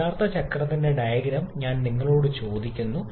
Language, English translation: Malayalam, I am just asking you the same diagram for the actual cycle